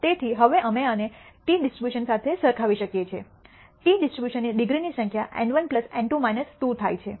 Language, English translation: Gujarati, So, we can now compare this with this t distribution, the number of degrees of the t distribution happens to be N 1 plus N 2 minus 2